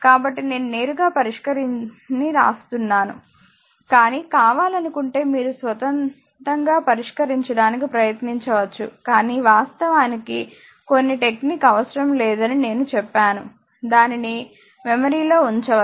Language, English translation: Telugu, So, I am writing the solution directly, but you can try to solve of your own if you want right, but no need actually some technique is there I told you, you can you can keep it in your memory right